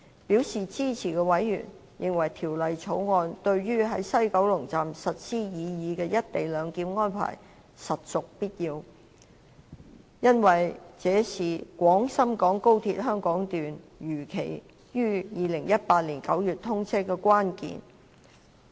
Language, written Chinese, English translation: Cantonese, 表示支持的委員，認為《條例草案》對於在西九龍站實施擬議"一地兩檢"安排，實屬必要，因為這是廣深港高鐵香港段如期於2018年9月通車的關鍵。, Members who have expressed their support consider that the Bill is necessary for the implementation of the proposed co - location arrangement at WKS for it is vital to the timely commissioning of HKS of XRL in September 2018